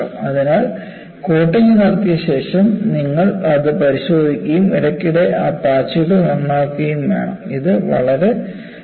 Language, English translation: Malayalam, So, after putting the coating, you have to inspect it and periodically repair those patches, it is very important